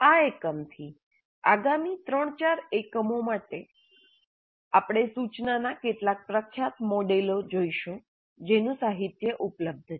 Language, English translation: Gujarati, From this unit for the next three, four units, we look at some of the popular models for instruction which have been available in the literature